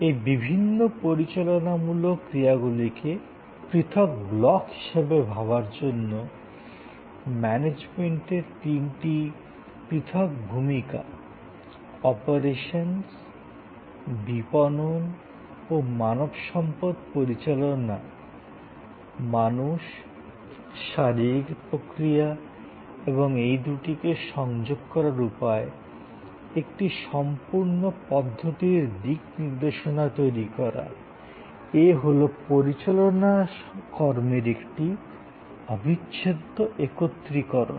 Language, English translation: Bengali, To think of these various managerial functions as separate blocks, so three roles of operations, marketing and human resource management, people, physical processes and the way we reach out and connect the two, create a complete systems orientation, in separable togetherness of the managerial function